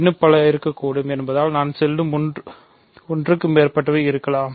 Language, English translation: Tamil, So, because there could be many more, there could be more than one I mean